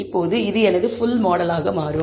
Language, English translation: Tamil, Now, this becomes my full model